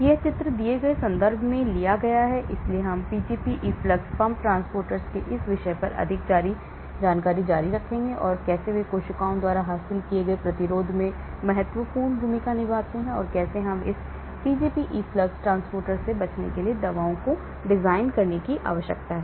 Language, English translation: Hindi, This picture is taken from this reference given , so we will continue more on this topic of Pgp efflux pump transporters and how they play important role in the resistance acquired by cells and how we need to design drugs to escape this Pgp efflux transporters